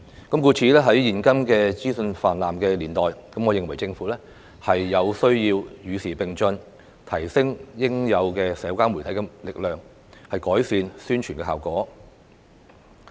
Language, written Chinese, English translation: Cantonese, 故此，在現今資訊泛濫的年代，我認為政府有需要與時並進，提升應用社交媒體的能力，改善宣傳效果。, Hence in this age of information proliferation I think the Government should keep pace with the times strengthen its capability in using social media and achieve better publicity effects